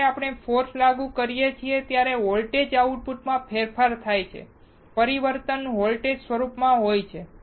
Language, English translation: Gujarati, When we apply force, there is a change in the voltage output change is in the form of voltage